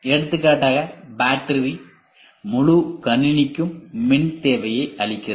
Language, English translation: Tamil, For example, battery it does give electrical support to whole system